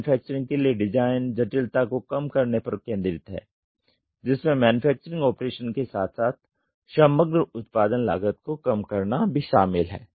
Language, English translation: Hindi, Design for manufacturing focuses on minimizing the complexity involving the manufacturing was operations as well as reducing the overall part production cost